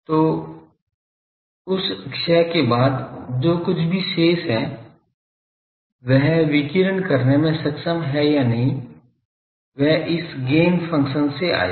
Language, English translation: Hindi, So, after that loss , whatever is remaining whether it is able to radiate that that will come from this Gain function